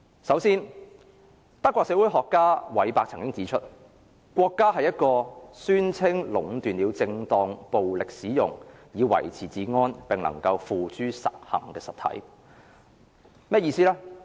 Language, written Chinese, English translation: Cantonese, 首先，德國社會學家韋伯曾經指出，國家是一個宣稱壟斷了正當使用暴力以維持治安，並能夠付諸實行的實體。, First German sociologist Max WEBER has pointed out that the state is a human community that claims the monopoly of the legitimate use of physical force